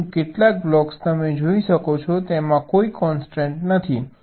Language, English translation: Gujarati, but some of the blocks you can see, there are no obstacles